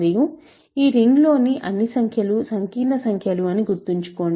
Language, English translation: Telugu, And, remember all the numbers that we are considering in this ring are complex numbers